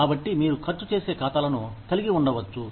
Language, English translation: Telugu, So, you could have spending accounts